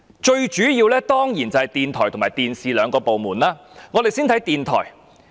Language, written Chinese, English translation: Cantonese, 最主要的當然是電台及電視兩個部門，我們先看看電台部分。, The two major programmes are naturally the Radio Division and the TV Division and we will look at the programme on the Radio Division first